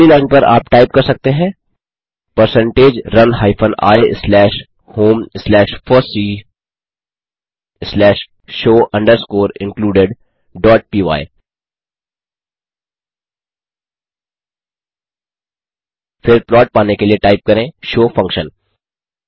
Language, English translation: Hindi, So Type percentage run space hyphen i space slash home slash fossee slash plot underscore script dot py The script runs but we do not see the plot